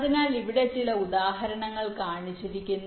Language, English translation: Malayalam, so here some example is shown